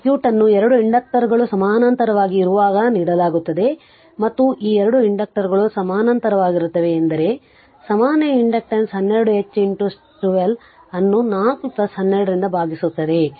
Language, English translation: Kannada, This is the circuit is given when 2 inductors are there in parallel right so and these 2 inductors are in parallel means that this inductor this inductor and this inductor these are parallel means that equivalent inductance will be 12 H into 12 divided by 4 plus 12 right